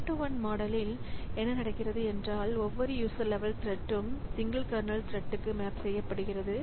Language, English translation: Tamil, So, in one to one model what happens is that each user level thread maps into a single kernel thread